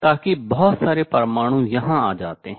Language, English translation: Hindi, So, that lot of atoms comes here